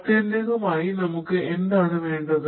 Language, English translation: Malayalam, So, ultimately, what we need